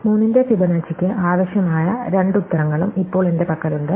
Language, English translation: Malayalam, So, now I have both the answers required for Fibonacci of 3